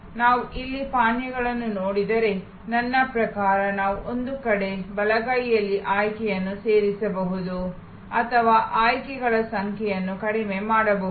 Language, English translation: Kannada, If we look here beverages, I mean, we can on one hand, add choices on the right hand side or reduce the number of choices